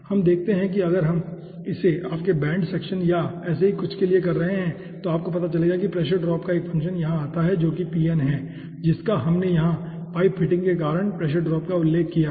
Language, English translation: Hindi, now let us see, by the way, if we are doing it, for you know some bend section or something like that, then you will be finding out a function of the pressure drop will be coming over here, which is pft, which we have mentioned over here as pressure drop due to pipe fitting